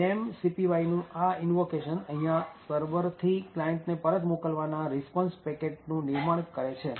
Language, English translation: Gujarati, So, this invocation to memcpy essentially creates the response from the server back to the client